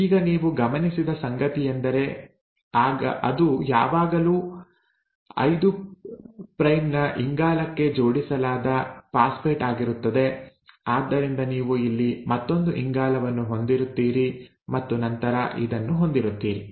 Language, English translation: Kannada, Now what you notice is that it is always the 5 prime, the phosphate which is attached to the 5 prime carbon, so you will have another carbon here and then this